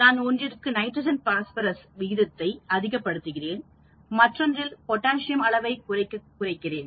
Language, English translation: Tamil, I may be fertilizing some with the higher nitrogen phosphorus ratio, I may be fertilizing some of them with less of potassium